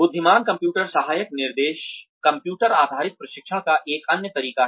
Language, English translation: Hindi, Intelligent computer assisted instruction, is another method of computer based training